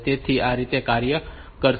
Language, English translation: Gujarati, So, that way it will be taking place